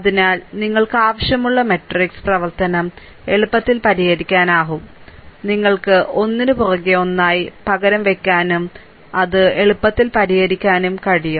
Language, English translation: Malayalam, So, easily you can solve right, no even no matrix operation is required just you can substitute one after another and you can easily solve it